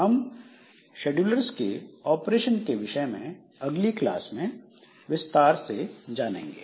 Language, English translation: Hindi, So, we'll look into this scheduler operations in the next class